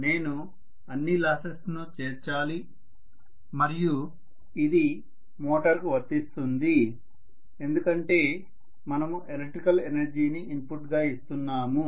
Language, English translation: Telugu, I have to include all the losses and this is true for a motor because we are giving electrical energy as the input